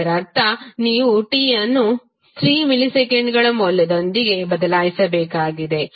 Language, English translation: Kannada, It means you have to simply replace t with the value of 3 milliseconds